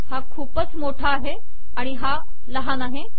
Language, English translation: Marathi, This is a lot bigger and this is smaller